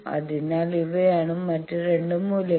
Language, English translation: Malayalam, So, these are the 2 other values